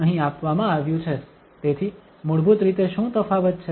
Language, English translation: Gujarati, So what is the difference basically